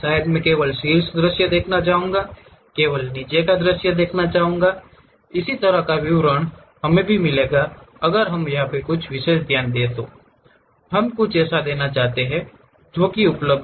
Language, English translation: Hindi, Maybe I would like to see only top view, I would like to see only bottom view, that kind of details also we will get it or we want to give some specialized focus, we want to give something like a tapering that is also available